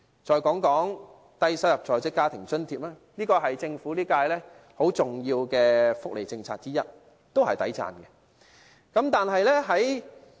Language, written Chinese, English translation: Cantonese, 再談談低收入在職家庭津貼，這是現屆政府其中一項很重要的福利政策，也是值得稱讚的。, The Low - income Working Family Allowance LIFA Scheme is one of the highly significant welfare policies of the incumbent Government which is also praiseworthy